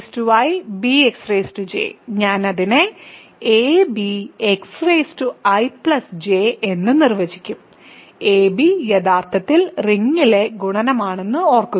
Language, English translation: Malayalam, So, ax power i b x power j I will define it to be ab x power i plus j, remember a b is actually multiplication in the ring R